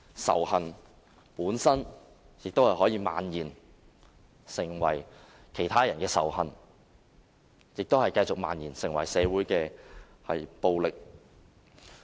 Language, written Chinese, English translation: Cantonese, 仇恨本身可以漫延成為其他人的仇恨，繼而漫延成社會暴力。, Hatred can proliferate and become hatred of the people and further proliferate to become social violence